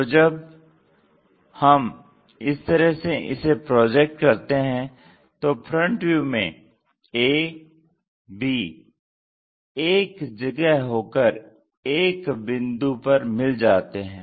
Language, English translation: Hindi, So, when we are projecting in that way the front view both A B points coincides